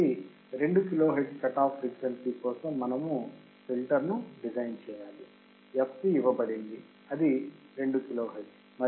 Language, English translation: Telugu, So, we have to design a filter for the cut off frequency fc is given, what 2 kilohertz